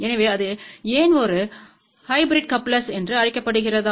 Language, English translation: Tamil, So, why it is called a hybrid coupler